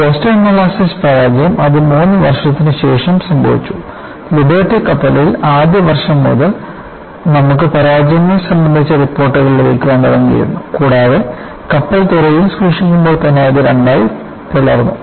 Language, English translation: Malayalam, In the case of Boston molasses failure, it wasabout three years later; in Liberty ship, even from the first year onwards, you had started getting reports about fractures, and also the case ofship breaking into two when it was kept at the dock